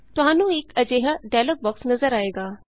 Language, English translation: Punjabi, You will see a dialog box like this